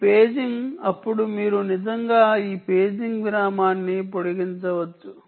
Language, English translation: Telugu, then you can actually extend this paging interval